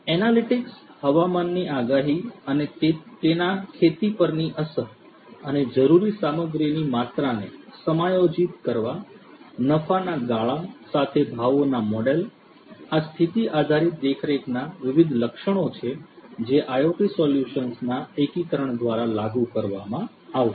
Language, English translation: Gujarati, Analytics predicting weather and their impact on farming and adjusting the amount of required material, pricing models with profit margin; these are the different attributes of condition based monitoring which are going to be implemented through the integration of IoT solutions